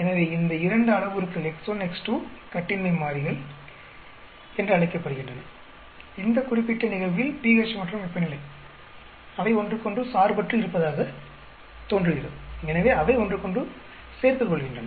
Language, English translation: Tamil, So, these two parameters x1, x2 which are called the independent variables in this particular case pH and temperature they seem to be independent of each other, so they are adding to each other